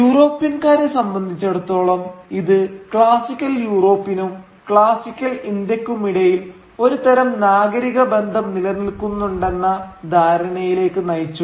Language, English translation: Malayalam, And for the Europeans this led to the assumption that some kind of civilizational affinity existed between classical Europe and classical India